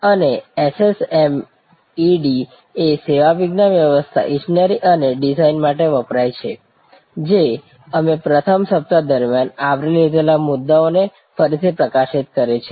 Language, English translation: Gujarati, And SSMED stands for Service Science Management Engineering and Design, which again highlights the point that we had covered during the first week